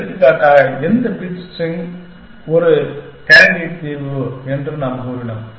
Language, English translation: Tamil, For example, we said that any bits string is a candidate solution